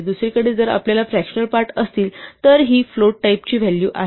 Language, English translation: Marathi, On the other hand, if we have fractional parts then these are values of type float